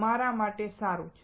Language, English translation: Gujarati, What is good for you